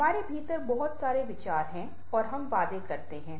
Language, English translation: Hindi, we are having lots of inner thoughts and we make promises